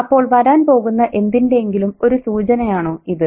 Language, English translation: Malayalam, So is this a premonition for something which is going to come